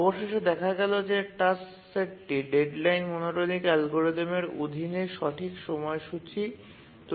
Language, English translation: Bengali, And we see that the task set is schedulable under the D deadline monotonic algorithm